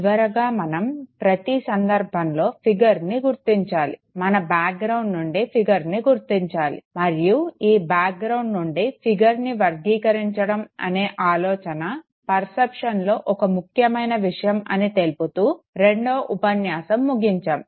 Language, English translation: Telugu, Then we ended the second lecture saying that always you one has to know figure out, one has to extract the figure against the background, and this very idea of categorizing figure versus the background is an important phenomenon perception